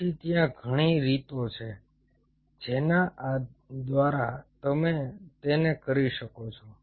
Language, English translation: Gujarati, so there are multiple ways by which you can do it